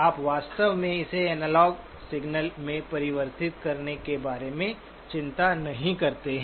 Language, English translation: Hindi, You really do not worry about converting it back into an analog signal